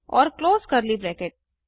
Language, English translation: Hindi, And Open curly bracket